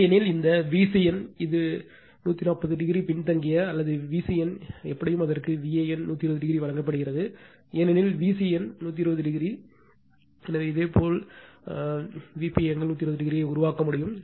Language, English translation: Tamil, Otherwise, this V c n this is lagging by 240 degree or V c n anyway it is given V a n by 120 degree, because V c n 120 degree by 120 degree, so that means your this one this one you can make V p angle 120 degree